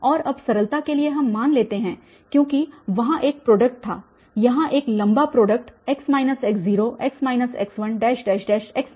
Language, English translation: Hindi, And now for simplicity we assume because there was a product here lengthy product x minus x naught, x minus x1, x minus xn